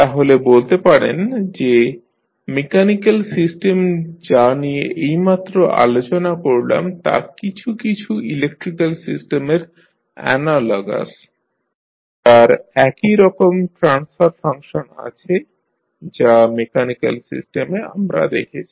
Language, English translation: Bengali, So, you can say that mechanical system which we just discussed is analogous to some electrical system which have the same transfer function as we saw in case of this mechanical system